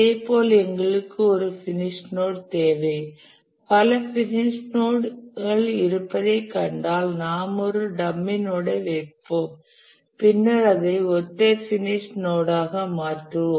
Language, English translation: Tamil, If we find that there are multiple finish nodes, we will put a dummy node and we will make it a single finish node